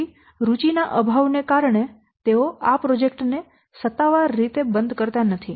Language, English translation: Gujarati, So, due to lack of interest, they do not officially or properly close the work project